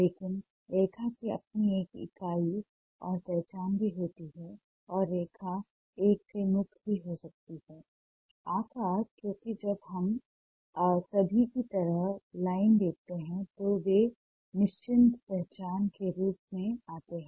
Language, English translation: Hindi, but line also has its own entity and ah identity and line can also be free from a shape ah, because when see line in ah like ah all over us, there, ah they, they come as certain identity